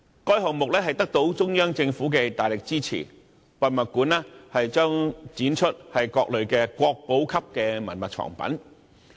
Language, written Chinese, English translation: Cantonese, 該項目得到中央政府的大力支持，博物館將展出各類國寶級文物藏品。, A project with strong backing from the Central Government the museum will exhibit various types of national heritage collections